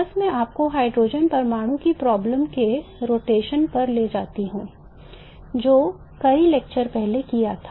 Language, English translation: Hindi, Just let me take you aside to the rotational, to the problem of the hydrogen atom which was done several lectures ago